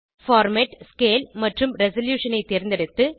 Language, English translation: Tamil, Choose the Format,Scale and Resolution and save the exported file